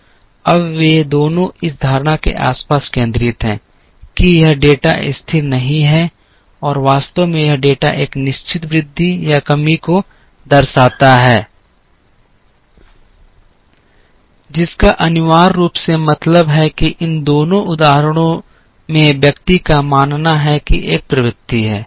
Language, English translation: Hindi, Now, both of them are centred around the belief that this data is not stable and in fact this data shows a certain increase or decrease, which essentially means that in both these instances the person believes that there is a trend